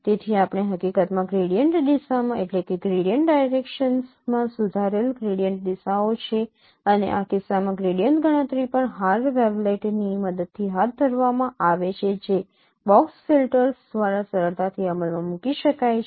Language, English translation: Gujarati, So, in the shift we have accumulated orientation corrected the gradient directions and in this case the gradient computation also is carried out using hard wavelengths which can be easily implemented by box filters